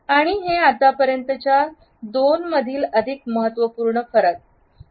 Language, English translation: Marathi, And this is by far the more significant difference between the two